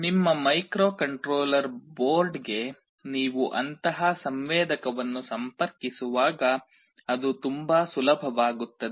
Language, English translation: Kannada, When you are interfacing such a sensor to your microcontroller board, it becomes very easy